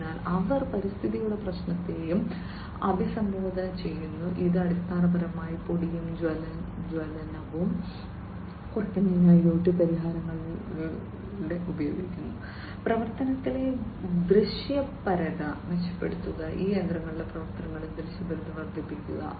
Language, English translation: Malayalam, So, they are also into they are also addressing the issue of environment, which will basically, which is basically the use of IoT solutions for reduced dust and ignition, and improving the visibility in the operations, increasing the visibility in the operations of these machinery